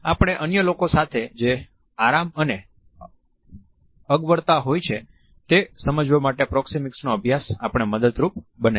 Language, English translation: Gujarati, The study Proxemics helps us to understand the level of comfort and discomfort, which we have towards other people